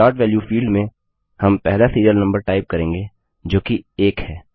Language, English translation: Hindi, In the Start value field, we will type the first serial number, that is, 1